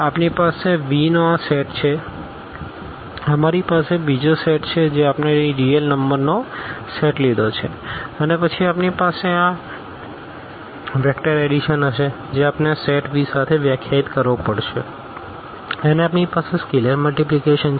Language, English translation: Gujarati, We have this set of V, we have another set which we have taken here the set of real numbers and then we will have this vector addition which we have to define with this set V and we have scalar multiplication